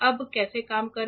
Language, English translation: Hindi, Now how to work the